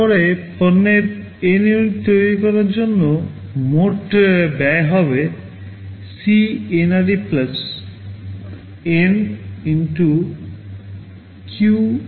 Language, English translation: Bengali, Then for manufacturing N units of the product the total cost will be CNRE + N * Cunit